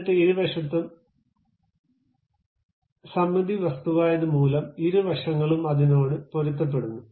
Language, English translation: Malayalam, Then on both sides, because this is a symmetric objects on both sides it naturally adjusts to that